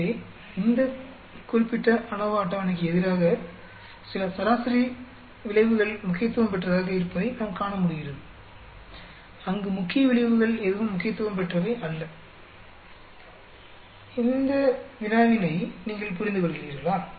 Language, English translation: Tamil, So, we are able to see some mean effects being significant as against to this particular ANOVA table, where none of the main effects are significant, do you understand this problem